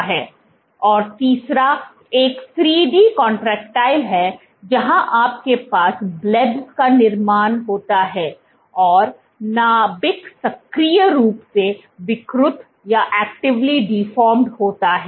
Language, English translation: Hindi, And the third one is 3D contractile where you have the formation of blebs and the nucleus is actively deformed